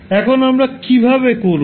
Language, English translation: Bengali, Now how we will do